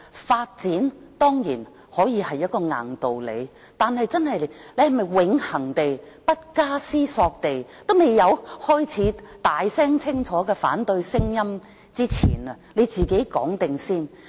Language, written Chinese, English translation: Cantonese, 發展當然可以是一個硬道理，但我們是否永恆地、不加思索地，未開始有大聲、清楚的反對聲音前就自己先這樣說？, Development can of course be an absolute justification but should we always speak in such a manner before all else without thinking when loud and clear voices of opposition have yet to be heard?